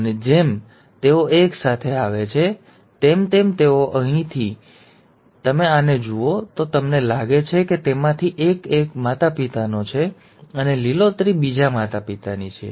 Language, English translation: Gujarati, And as they come together, they, so here if you look at this one, you find that one of them is from one parent and the green one is from the other parent